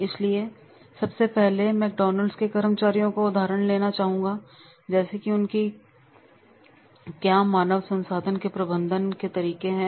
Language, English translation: Hindi, So, first I would like to take an example of the McDonald's employees that is HRM in practice what they do